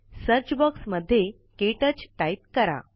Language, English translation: Marathi, In the Search box type KTouch